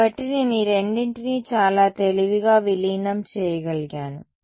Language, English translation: Telugu, So, I have actually manage to merge these two in a very clever way